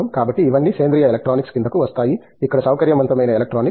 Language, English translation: Telugu, So, all these are coming up organic electronics is another area, where flexible electronics